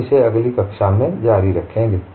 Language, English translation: Hindi, We will continue that in the next class